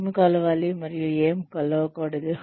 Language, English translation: Telugu, What to measure and what not to measure